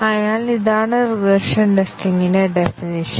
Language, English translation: Malayalam, So, this is the definition of regression testing